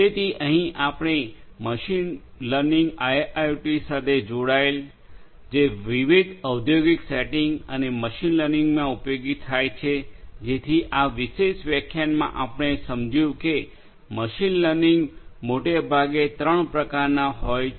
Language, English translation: Gujarati, So, this is where machine learning combined with IIoT can be useful in different industrial settings and machine learning so far what we have understood in this particular lecture is that machine learning can be of broadly three types